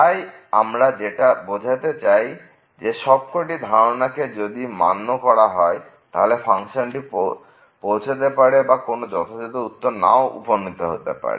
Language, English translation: Bengali, So, exactly what we have said if the hypotheses are not met the function may or may not reach the conclusion